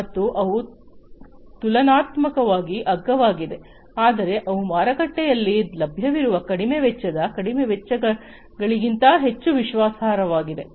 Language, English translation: Kannada, And they are relatively cheap, they are relatively cheap, but they are much more reliable than the low cost ones, lower cost ones that are available in the market